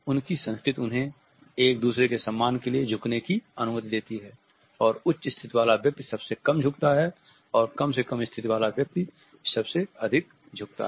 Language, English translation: Hindi, Their culture allows them to bow to each other, and the person with the higher status bows the least and the one with the least status bows the most